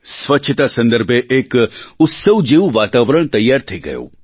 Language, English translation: Gujarati, A festive atmosphere regarding cleanliness got geared up